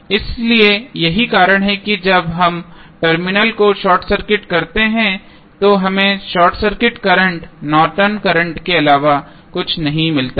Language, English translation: Hindi, So, that is why when we short circuit the terminal we get the Norton's current is nothing but short circuit current